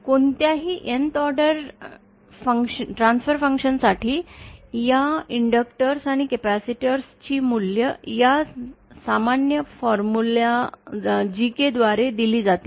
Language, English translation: Marathi, For any Nth order transfer function, the values of these inductors and capacitors will be given by this general formula GK